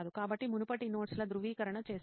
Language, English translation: Telugu, So verification of previous notes